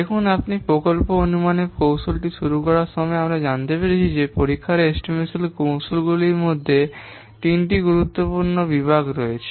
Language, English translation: Bengali, See in the while we have started the project estimation technique, we have known that there are three main important categories of testing estimation techniques